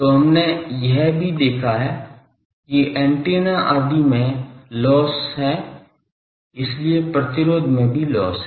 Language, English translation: Hindi, So, there are we also have seen that there are losses in the antenna etc; so, there is a loss in resistance also